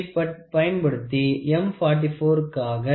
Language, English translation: Tamil, So, using so, this is for M 45